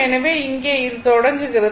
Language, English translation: Tamil, So, here it is starting